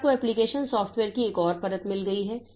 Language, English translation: Hindi, Then you have got another layer of application software